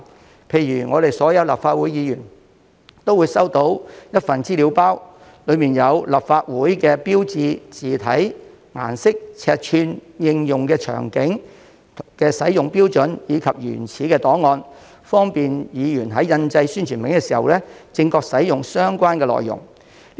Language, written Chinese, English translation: Cantonese, 舉例而言，所有立法會議員都會收到一份資料包，當中有立法會標誌的字體、顏色、尺寸、應用場景和使用標準的資料，以及相關的原始檔案，方便議員在印製宣傳品時正確使用相關內容。, For example all Members of the Legislative Council are provided with an information kit on the font style colour code size scope and standards of application of the logo of the Legislative Council and together with a template file of the logo they are all equipped with the correct information for printing publicity materials